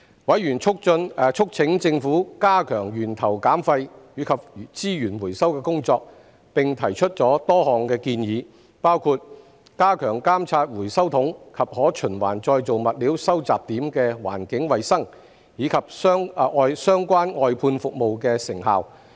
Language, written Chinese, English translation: Cantonese, 委員促請政府加強源頭減廢及資源回收的工作，並提出多項建議，包括加強監察回收桶及可循環再造物料收集點的環境衞生，以及相關外判服務的成效。, Members have urged the Government to step up its efforts in waste reduction at source and resource recovery and have made a number of suggestions including strengthening the monitoring of the environmental hygiene of recycling bins and recyclables collection points as well as the effectiveness of relevant outsourced services